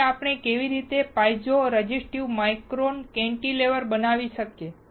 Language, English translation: Gujarati, So, how we can fabricate piezo resistive micro cantilever